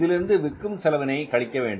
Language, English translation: Tamil, From this now we are subtracting the selling expenses